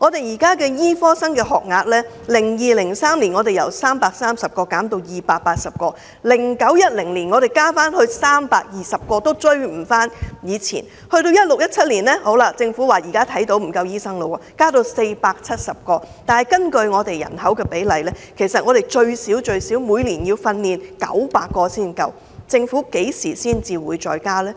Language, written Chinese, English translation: Cantonese, 醫科學生的學額在 2002-2003 年度由330名減至280名 ，2009-2010 年度又增加至名，但數目仍未及以前，到了 2016-2017 年度，政府看到沒有足夠醫生，就把學額增加至470名，但根據香港人口比例，其實我們每年最少要訓練900名醫生，政府何時會再增加學額呢？, The number of places for medical students was reduced from 330 to 280 in 2002 - 2003 and increased to 320 in 2009 - 2010 but it was not increased back to its previous level . In 2016 - 2017 the Government noticed that there were insufficient doctors so it increased the number to 470 . However based on the proportion of population in Hong Kong we need to train at least 900 doctors every year